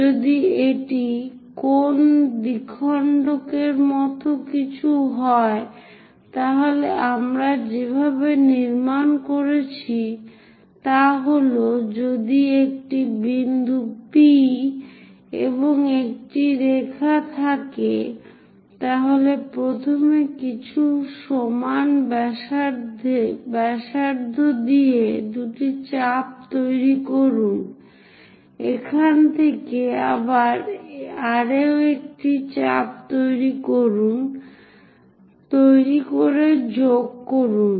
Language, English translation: Bengali, If it is something like angle bisector, the way how we have constructed is; if there is a point P, if there is a line, first of all with some equal radius make two arcs, from this again make one more arc, from here make one more arc join this